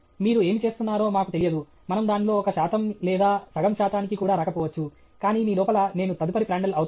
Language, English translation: Telugu, We don’t know what you do; we may not even come to one percent or half a percent of that, but inside you have can I become the next Prandtl